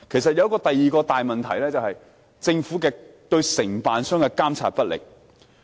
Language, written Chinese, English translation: Cantonese, 第二個大問題是政府對承辦商的監管不力。, The second major problem is the Governments poor supervision of service contractors